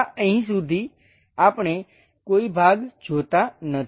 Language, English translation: Gujarati, Here, we do not see any portion